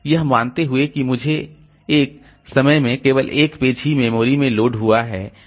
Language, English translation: Hindi, Assuming that I have got only one page loaded into the memory at a time